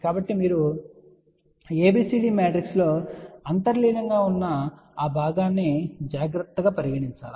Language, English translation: Telugu, So, you have to take care of that part which is inherent of ABCD matrix